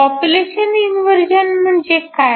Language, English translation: Marathi, So, what population inversion means